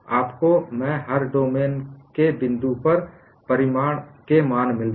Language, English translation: Hindi, You get the values of stress magnitudes at every point in the domain